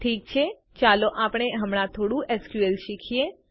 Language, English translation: Gujarati, Okay, let us learn some SQL now